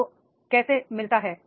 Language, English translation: Hindi, How do you get